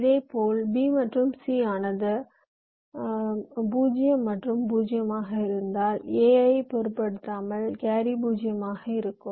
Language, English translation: Tamil, ok, similarly, if b and c as zero and zero, then irrespective of a, the carry will be zero